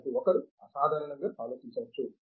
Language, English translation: Telugu, So, one can unconventionally think